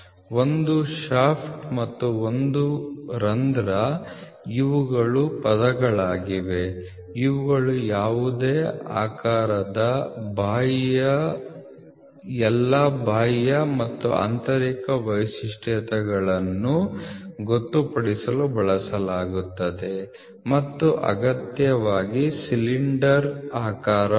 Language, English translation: Kannada, A shaft and a hole these are terms which are used to designate all the external and internal features of any shape and not necessarily cylindrical, ok